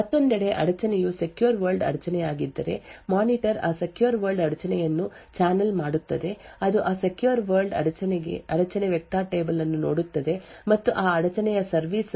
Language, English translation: Kannada, On the other hand if the interrupt happened to be a secure world interrupt the monitor would then channel that secure world interrupt which would then look at a secure world interrupt vector table and identify the corresponding location for that interrupt service routine